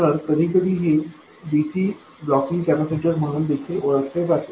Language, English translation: Marathi, So sometimes this is also known as DC blocking capacitor